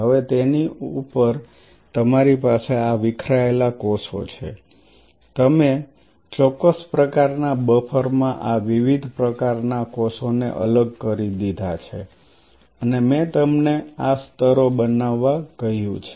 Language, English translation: Gujarati, Now, on top of that you have these dissociated cells right you have dissociated these different kinds of cells in a particular buffer, and I told you make these layers of